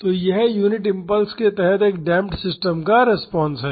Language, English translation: Hindi, So, the expression for the unit impulse response for the damped system is this